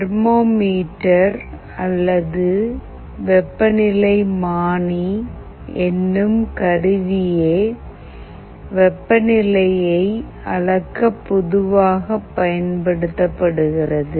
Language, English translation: Tamil, If you think of how we measure temperature, thermometer is the most widely used instrument for temperature sensing